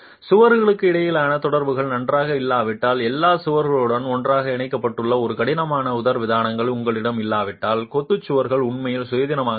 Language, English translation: Tamil, Unless the connections between the walls are good and unless you have a rigid diaphragm that is connected to all the walls well, the masonry walls will actually act independently